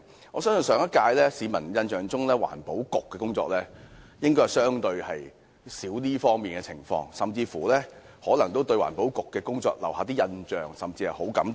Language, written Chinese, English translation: Cantonese, 我相信，在市民的印象中，上屆政府環境局的工作應該較少受到批評，有市民甚至可能對該局的工作留下好感。, I trust that in the eyes of the public the work of the Environment Bureau of the last - term Government should receive less criticism; some people might even have a good impression of its work